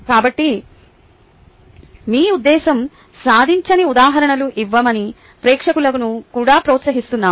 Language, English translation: Telugu, so the i encourage the audience also to give examples where your intent was not achieved